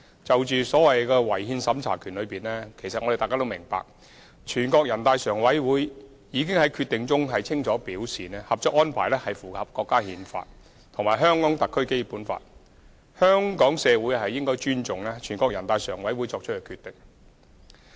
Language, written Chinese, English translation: Cantonese, 至於違憲審查權，相信大家均明白，全國人大常委會已在其決定中清楚表示，《合作安排》符合《中華人民共和國憲法》及《香港特別行政區基本法》，香港社會應尊重全國人大常委會作出的決定。, As for the power to inquire into the constitutionality of laws I think we all understand that NPCSC has already stated very clearly in its decision that the Co - operation Arrangement is consistent with the Constitution of the Peoples Republic of China and the Basic Law of the Hong Kong Special Administrative Region . The community of Hong Kong should then respect the decision made by NPCSC